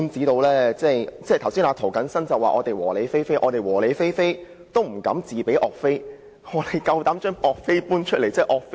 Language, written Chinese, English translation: Cantonese, 涂謹申議員剛才說我們"和理非非"，但即使我們"和理非非"，也不敢自比岳飛，但他竟敢搬出岳飛。, Just now Mr James TO has said that we are peaceful rational non - violent without foul language . Even though we are so we dare not compare ourselves to YUE Fei . Yet he dared to compare himself to him